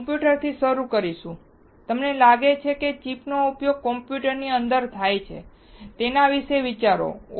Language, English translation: Gujarati, We will start from computers, how you think that the chip is used within the computers, think about it